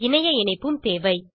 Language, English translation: Tamil, You will also require Internet connectivity